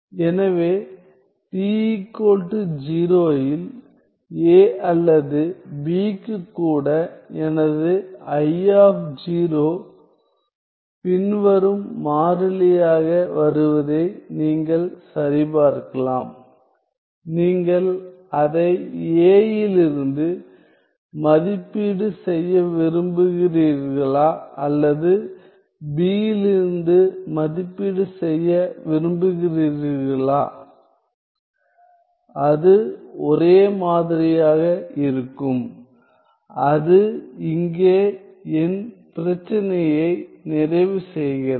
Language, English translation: Tamil, So, at t equal to 0 you can check that for even for A or B my I of 0 comes out to be the following constant whether you want to evaluate it from A or you want to evaluate it from B; it will come out to be the same ok so, that completes my problem here